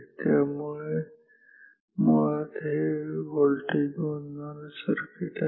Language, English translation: Marathi, So, this is basically a voltage measuring circuit